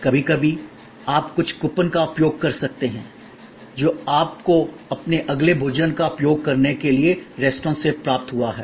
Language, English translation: Hindi, Sometimes you may be using some coupon, which you have received from the restaurant for using your next meal